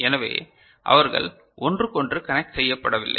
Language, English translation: Tamil, So, they are not connected with each other